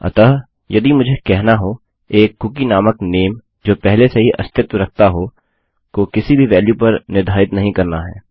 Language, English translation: Hindi, So if I were to say set a cookie that already exists called name, to no value at all